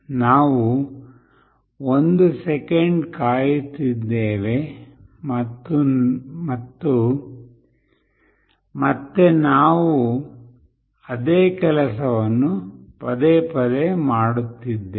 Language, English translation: Kannada, We are waiting for 1 second and again we are doing the same thing repeatedly